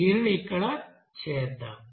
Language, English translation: Telugu, Let us do this here